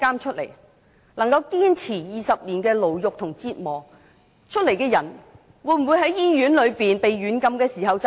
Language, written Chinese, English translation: Cantonese, 一個能夠堅持20年牢獄和折磨出來的人，會否在醫院被軟禁時自殺？, Would a man who could endure imprisonment and torture for 20 years commit suicide when he was detained in hospital?